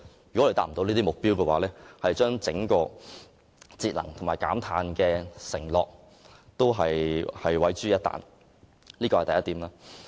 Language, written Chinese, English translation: Cantonese, 如未能達到這個目標，整個節能和減碳承諾將會毀於一旦，這是第一點。, Failure to achieve these targets means that the overall energy saving and carbon reduction commitment will be ruined instantly . This is the first point